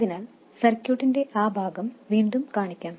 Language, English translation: Malayalam, Let me put down that part of the circuit again